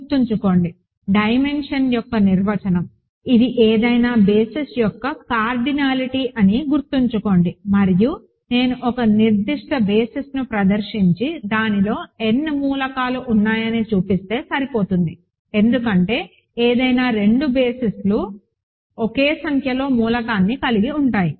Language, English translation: Telugu, Remember, definition of dimension is, it is the cardinality of any basis and if I exhibit a particular basis and show that it has n elements n elements it is enough, because any two bases have same number of elements